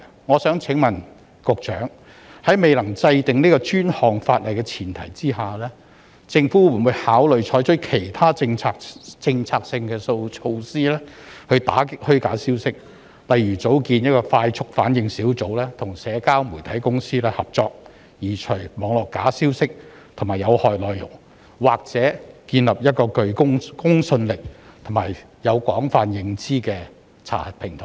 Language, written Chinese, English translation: Cantonese, 我想問局長，在未能制定專項法例的前提下，政府會否考慮採取其他政策措施打擊虛假消息，例如成立快速反應小組，與社交媒體公司合作，移除網絡假消息及有害內容，或者建立一個具公信力及獲廣泛認受的查核平台呢？, I would like to ask the Secretary this On the premise that specific legislation has yet to be enacted will the Government consider adopting other policy measures against false information such as establishing a rapid response unit to work in collaboration with social media companies to remove false information and harmful contents online or setting up a credible and widely - recognized verification platform?